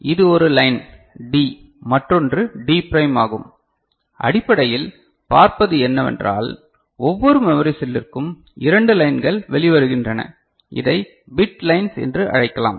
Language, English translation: Tamil, So, this is one line D, another is D prime that what you see basically so, from each memory cell 2 lines are coming out ok, it can be also called bit lines